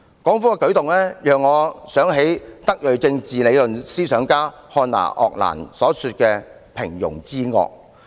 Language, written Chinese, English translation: Cantonese, 港府的舉動讓我想起德裔政治理論思想家漢娜.鄂蘭所說的"平庸之惡"。, The Hong Kong Governments act has reminded me of the banality of evil advocated by Hannah ARENDT a German philosopher and political theorist